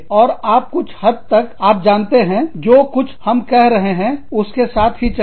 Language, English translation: Hindi, And, you just sort of, you know, go along with, whatever we are telling you